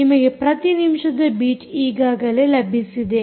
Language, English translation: Kannada, you have already acquired the beats per minute